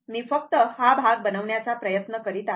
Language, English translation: Marathi, Just I am trying to make it this part, right